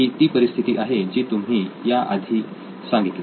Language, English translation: Marathi, So this would be a situation where you have already mentioned